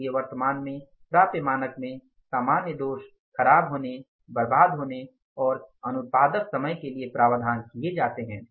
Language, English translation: Hindi, So, in the currently attainable standards, allowances are made for normal defects, spoilage, waste and the non productive time